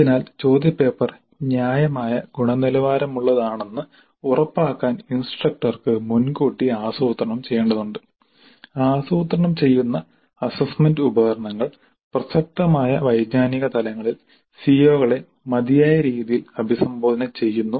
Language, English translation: Malayalam, So, the instructor has to have upfront planning to ensure that the question paper is of reasonable quality, the assessment instruments that are being planned do address the CBOs sufficiently at the relevant cognitive levels